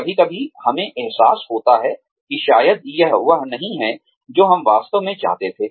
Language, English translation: Hindi, Sometimes, we realize that, maybe, this is not, what we really wanted